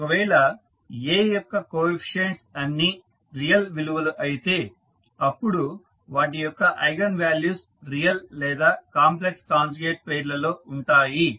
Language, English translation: Telugu, So, if the coefficients of A are all real then its eigenvalues would be either real or in complex conjugate pairs